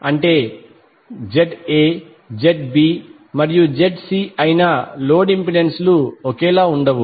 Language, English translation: Telugu, It means that the load impedances that is ZA, ZB, ZC are not same